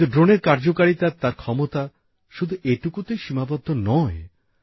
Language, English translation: Bengali, The spectrum of a drone's usage and its capabilities is not just limited to that